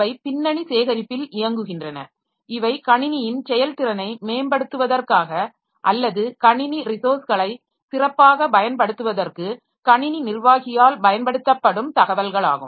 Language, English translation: Tamil, So they they are running at the background gathering information, some related information which will be used by the system administrator later for improving the performance of the system or making a better usage of the system resources